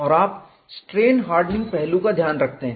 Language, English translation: Hindi, It was not considering strain hardening at all